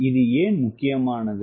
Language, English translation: Tamil, this is important